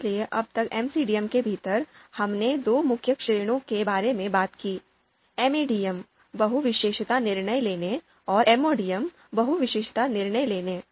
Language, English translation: Hindi, So within MCDM till now, we talked about two main categories; MADM, multi attribute decision making and MODM, multi objective decision making